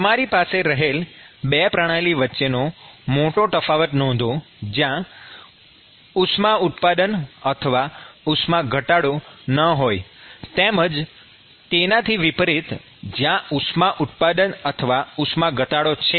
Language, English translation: Gujarati, So, this is a big difference between what you have with a system where there is no heat generation or heat sink versus the system where there is heat generation or a heat sink